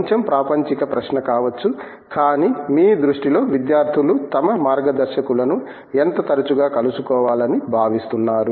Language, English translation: Telugu, Maybe a bit of mundane question, but in your view you know what do you see as you know how often students should be meeting their guides